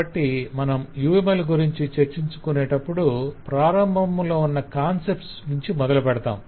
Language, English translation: Telugu, so while we discuss uml we will over discuss some of the starting from the early concept